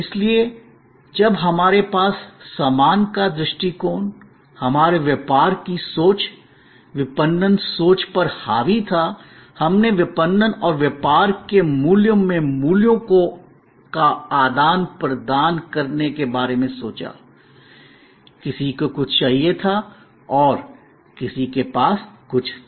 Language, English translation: Hindi, So, when we had the goods perspective, dominating our business thinking, marketing thinking, we thought of marketing and the core of business as exchange a values, somebody wanted something and somebody had something